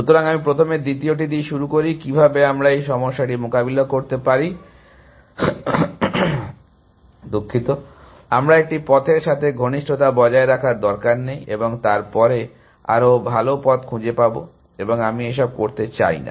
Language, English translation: Bengali, So, let me first begin with the second one, how can we get around this problem that, I do not need to maintain close with one path and then find a better path later and I do not want to do all this